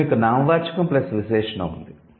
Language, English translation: Telugu, Then you have noun plus adjective